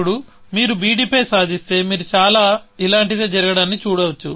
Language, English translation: Telugu, Now, if you do achieve on b d, you can see something very similarly, happening